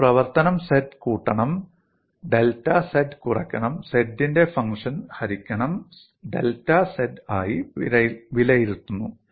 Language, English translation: Malayalam, You evaluate the function at z plus delta z minus f, of z divided by delta z